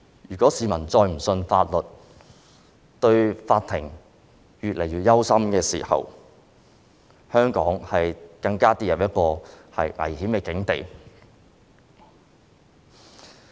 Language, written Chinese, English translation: Cantonese, 如果市民再也不相信法律，並且對法庭感到越來越憂心，香港便會跌入一個更危險的境地。, If people do not believe in the legal system anymore and become increasingly concerned about the position of the Court Hong Kong will then fall into a more perilous situation